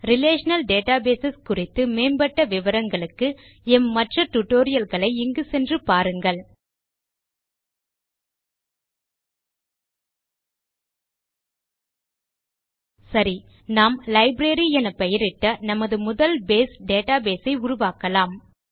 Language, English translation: Tamil, For advanced topics on relational databases, refer to our other tutorials by visiting the website Spoken tutorial.org Okay, let us now get started with our first Base database called Library